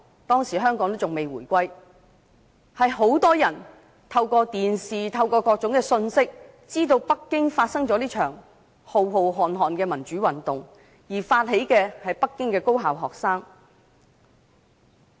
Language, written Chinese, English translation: Cantonese, 當時香港仍未回歸，很多人透過電視和各種信息，知道北京發生了這場浩瀚的民主運動，而發起運動的是北京的高校學生。, At that time Hong Kong was not reunified with China yet . Many people learned about the mass democratic movement in Beijing on television and from various sources . The initiators of the movement were students of tertiary institutions in Beijing